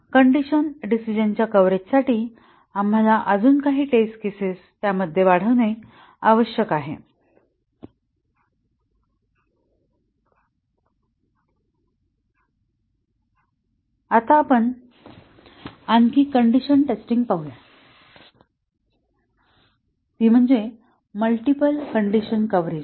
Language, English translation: Marathi, For condition decision coverage we might have to augment the test cases achieve condition coverage Now, let us look at another condition testing which is the multiple condition coverage